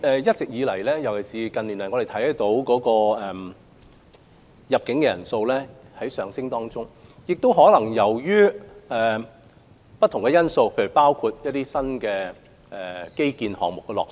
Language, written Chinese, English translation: Cantonese, 一直以來，尤其是近年，我們看到入境旅客人數上升，這可能是由於不同因素，包括新基建項目落成。, The number of inbound visitors has been rising continuously especially in recent years . There are many factors behind such a phenomenon including the successive completion of various new infrastructure projects